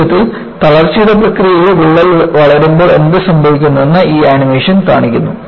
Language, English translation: Malayalam, And, this animation shows, in a nutshell, what happens, when crack grows by the process of fatigue